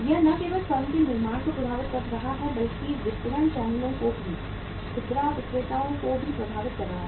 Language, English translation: Hindi, It is not only impacting the firm the manufacture but even the distribution channels also, the retailers also